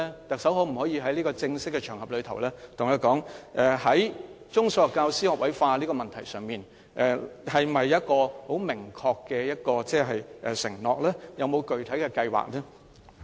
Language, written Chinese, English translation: Cantonese, 特首能否在這個正式場合，在中、小學教師學位化的問題上，作出明確的承諾？有否具體的計劃？, Chief Executive on this formal occasion today can you make a clear commitment regarding the introduction of an all - graduate teaching force in primary and secondary schools?